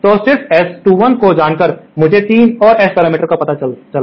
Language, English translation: Hindi, So, just by knowing S 21, I find out 3 more S parameters